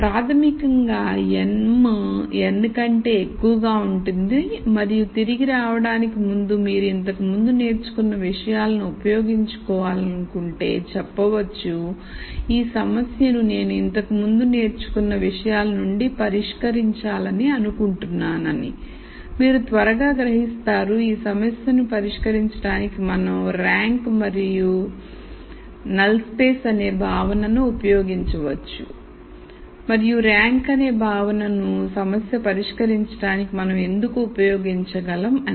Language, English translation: Telugu, So, basically m is greater than n and then if you want to use things that we have learned before to come back and say I want to solve this problem using things that I have learned, you would quickly realize that we can use the notion of rank and null space to solve this problem and why is it that we can use the notion of rank a null space to solve the problem